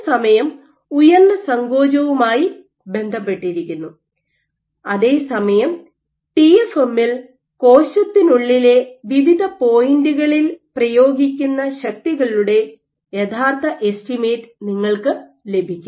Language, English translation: Malayalam, Lesser time is correlated with higher contractility while, in TFM you get actual estimate of forces exerted at different points within the cell